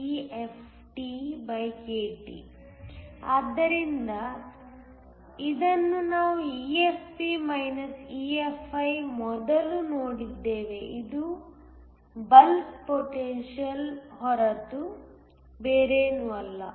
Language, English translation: Kannada, So, this we have seen before EFP EFi it is nothing but the bulk potential